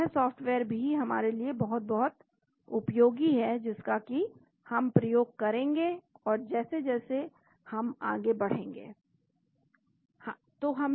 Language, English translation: Hindi, So, this software is also very, very useful for us to make use of as we go along